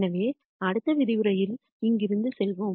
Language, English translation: Tamil, So, we will pick up from here in the next lecture